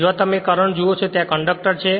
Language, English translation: Gujarati, Wherever you see the current this conductor are there